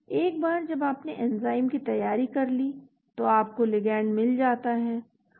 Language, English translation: Hindi, Once you have done the enzyme preparation you get the ligand